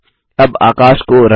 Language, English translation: Hindi, Lets color the sky now